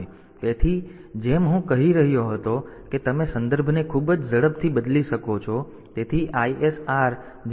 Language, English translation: Gujarati, So, as I was telling that you can switch the context very fast